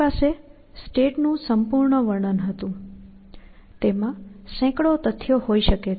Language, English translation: Gujarati, Because the state was a complete description; it may have hundreds of facts